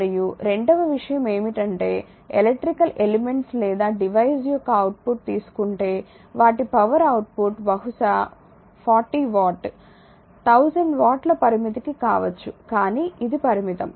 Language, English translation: Telugu, And second thing is that output or if you take an electrical elements or devices; their power output is maybe limited maybe 40 watt maybe 1000 watt, but it is limited right